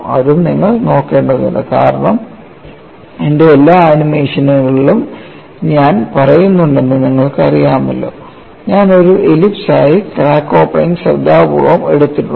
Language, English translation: Malayalam, That is also you have to look at, because you know I have been saying in all my animations I have taken carefully the crack opening as an ellipse